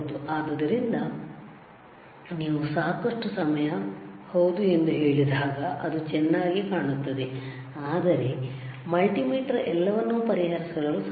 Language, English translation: Kannada, So, when you say lot of time yes it looks good, but the point is multimeter cannot solve everything